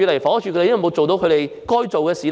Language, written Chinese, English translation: Cantonese, 房屋署有沒有做到該做的事？, Has the Housing Department performed its due responsibilities?